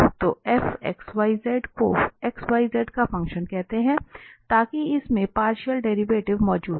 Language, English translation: Hindi, So let this f x,y,z be a function of x, y, z, such that it its derivative the partial derivatives exist